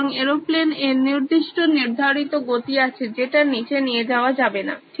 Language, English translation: Bengali, So there is a certain prescribed speed that you cannot go below